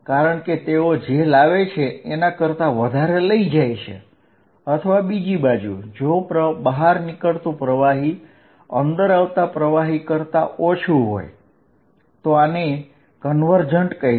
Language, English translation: Gujarati, Because, they take away much more than they are bringing in or the other hand, if fluid going out is less then fluid coming in I will say this convergent